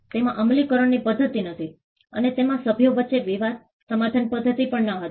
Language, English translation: Gujarati, It did not have enforcement mechanism; and it also did not have dispute settlement mechanism between the members